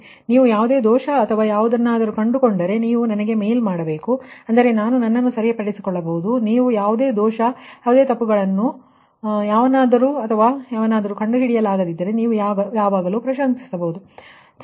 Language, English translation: Kannada, so if you find any error or anything, you should mail me such that i can rectify myself right and ah, you always appreciate if you can find out any error or any mistakes or anything has been made, it will be appreciated right